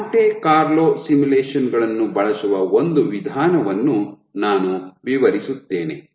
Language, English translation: Kannada, So, I will describe one approach where use Monte Carlo simulations